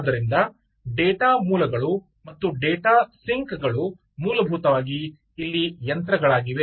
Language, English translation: Kannada, ok, so data sources and data syncs are essentially machines